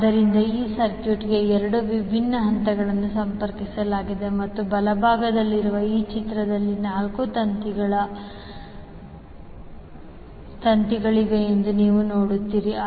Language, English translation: Kannada, So, 2 different phases are connected to these circuit and in this figure which is on the right, you will see there are 4 wires